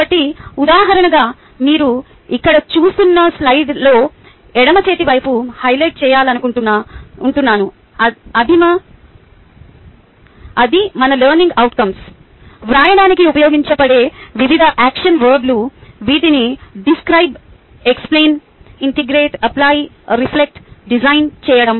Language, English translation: Telugu, so, just as an example, what i would like to highlight, what you see here on the left hand side, are the different action verbs which we use to write our learning outcomes, which is describe, explain, integrate, applied, reflect and design